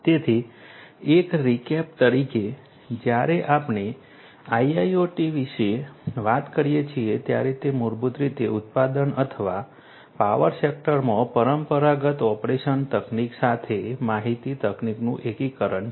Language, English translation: Gujarati, So, just as a recap when we talk about IIoT basically it is the integration of information technology with the conventional operation technology in the manufacturing or power sector